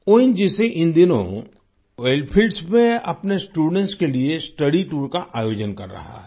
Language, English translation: Hindi, These days, ONGC is organizing study tours to oil fields for our students